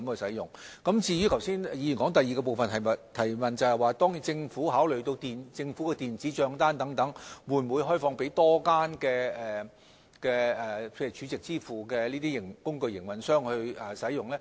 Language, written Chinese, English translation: Cantonese, 議員剛才提出的第二項補充質詢，是政府會否考慮把電子帳單的支付平台開放給更多儲值支付工具營運商。, The second supplementary question raised by the Member just now is whether the Government will consider opening up the payment platform of electronic bills to more SVF operators